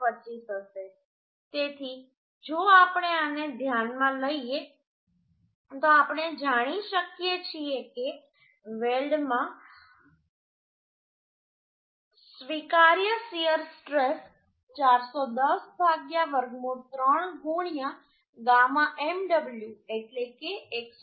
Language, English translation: Gujarati, 25 for this case so if we consider this then we can find out the permissible shear stress in the weld is as 410 by root 3 into gamma mw that is189